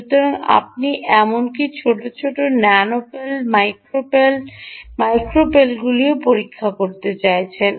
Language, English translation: Bengali, so you may even want to examine ah small, ah, tiny ah, nano pelts or micro pelts, micro pelts in fact there is a company called micropelt